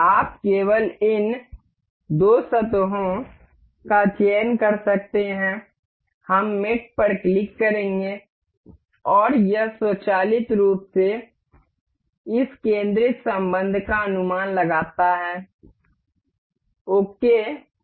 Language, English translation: Hindi, You can just select this two surfaces we will click on mate, and it automatically guesses this concentric relation and click ok